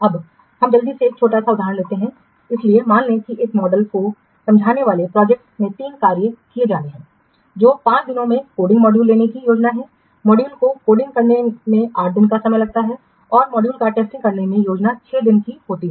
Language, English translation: Hindi, So, suppose there are three tax to be performed in a project specifying a module which what is planned to take five days, coding the module, it is planned to take eight days and testing the module is planned to 6 days